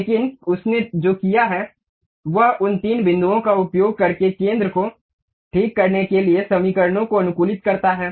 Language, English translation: Hindi, But what it has done is using those three points optimize the equations to fix the center